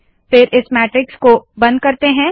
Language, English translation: Hindi, And then, lets close this matrix